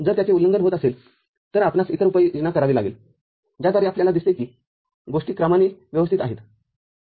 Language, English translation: Marathi, If it is violated we have to take other measure by which we see that things are in order